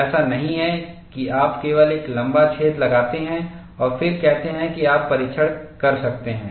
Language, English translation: Hindi, It is not that, you simply put a slit and then say, that you can do the test